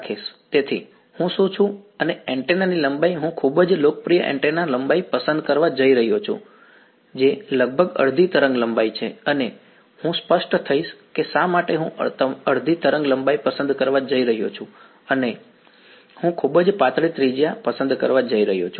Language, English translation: Gujarati, So, what I am and the antenna length I am going to choose a very popular antenna length, which is roughly half a wavelength and I will become clear why I am going to choose half a wavelength, and I am going to choose a very thin radius